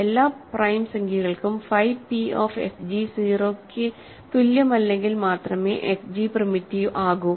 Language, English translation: Malayalam, So, f g is primitive if and only if phi p of f g is not equal to 0 for all prime integers